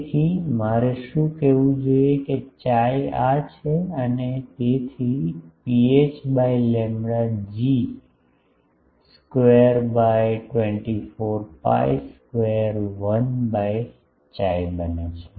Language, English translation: Gujarati, So, what is what I should have said Chi is this and so, rho h by lambda becomes G square by 24 pi square 1 by Chi